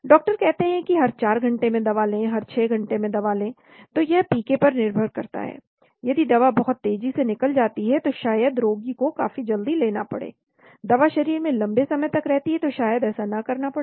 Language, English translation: Hindi, The doctor says take the drug every 4 hours, take drug every 6 hours, so that depends on the PK, that drug gets eliminated very fast, then maybe the patient has to take quite often, the drug remains the body longer maybe not so